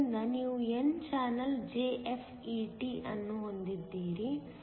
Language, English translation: Kannada, So, you have an n channel JFET